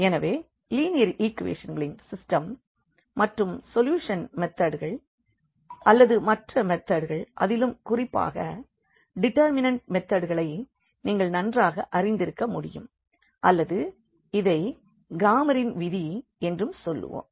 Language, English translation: Tamil, So, the system of linear equations, the solution methods we have basically the other methods to like the method of determinants you must be familiar with or we call this Cramer’s rule